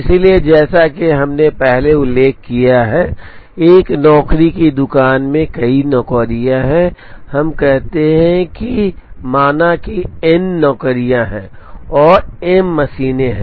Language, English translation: Hindi, So, as we mentioned earlier, in a job shop there are several jobs, let us say there are n jobs, and there are m machines